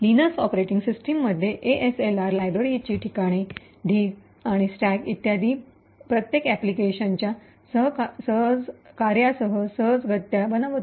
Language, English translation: Marathi, In the Linux operating systems ASLR would randomize the locations of libraries, the location of the heap, the stack and so on with each run of the application